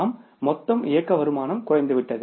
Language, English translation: Tamil, Means the total your operating income has come down